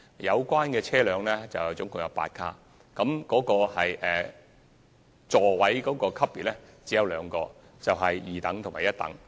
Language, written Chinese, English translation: Cantonese, 這些列車並有8個車卡，座位級別只有兩種，即一等和二等。, The trains concerned will each consist of eight cars . There will only be two classes of seats namely first class and second class